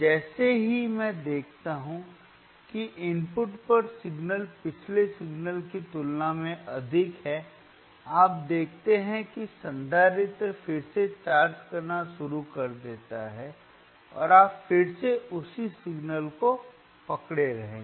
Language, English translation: Hindi, As soon as I see the signal at the input is higher than the previous signal higher than this particular signal right, you see the capacitor again starts charging again start chargingand you will again keep on holding the same signal